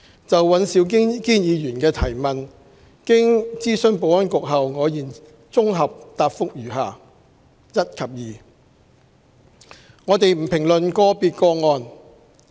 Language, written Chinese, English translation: Cantonese, 就胡志偉議員的提問，經諮詢保安局後，我現綜合答覆如下：一及二我們不評論個別個案。, Having consulted the Security Bureau my consolidated reply to Mr WU Chi - wais question is as follows 1 and 2 We do not comment on individual cases